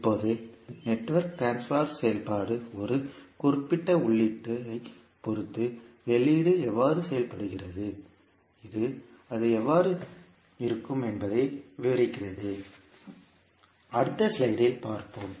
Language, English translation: Tamil, Now, the transfer function of the network describes how the output behaves with respect to a particular input, and how it will have, we will see in the next slide